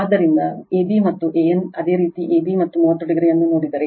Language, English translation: Kannada, So, ab and an, if you look ab and an 30 degree